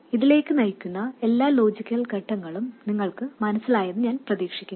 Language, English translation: Malayalam, Like I said, hopefully you understand all the logical steps leading to this